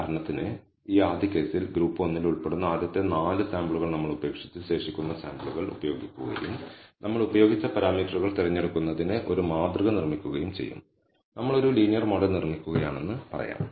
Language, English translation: Malayalam, So, for example, in this first case we will leave the first 4 samples that belonging to group one and use the remaining samples and build a model for whatever choice of the parameters we have used, let us say we are building a linear model